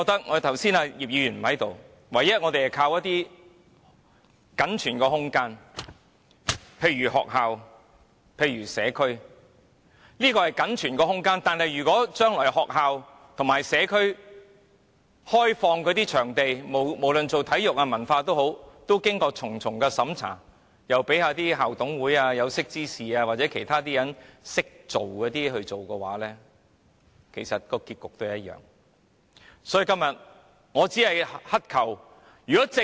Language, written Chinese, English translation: Cantonese, 我們唯一可以依靠的僅存空間是學校和社區設施，但如果將來開放學校和社區場地作體育或文化用途時，仍要經過重重審查，讓那些甚麼校董會、有識之士或其他識時務人士負責批核，結局其實只會一樣。, We can now only rely on schools and community facilities which are the spaces left for us to use but the results will only be the same if applications are subject to repeated checking and verification when schools and community facilities are open for sports or cultural use in the future and school management committees people of insight or other persons who know how to trim the sail are responsible for vetting and approving such applications